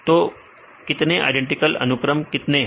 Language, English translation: Hindi, So, how many identical sequences